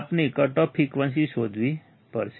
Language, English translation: Gujarati, We have to find the cut off frequency